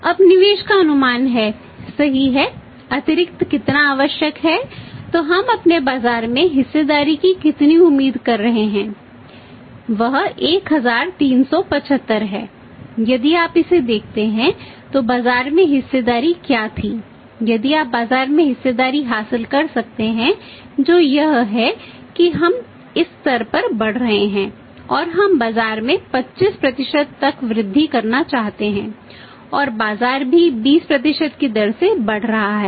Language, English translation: Hindi, Now projected how much is additional required now projected investment projected investment right so how much we are expecting or market share to be that is 375 crores what was the market share if you look at his the 1375 crores if you can work out the market share which is the we are growing at this level and we want to increase the market to 25% and the market is also growing at the rate of 20%